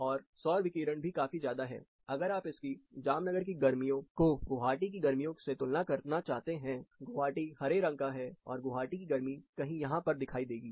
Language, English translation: Hindi, This is again not micro climate, summer in Jamnagar versus summer in Guwahati, winter in Jamnagar is somewhere here, and winter is Guwahati is somewhere here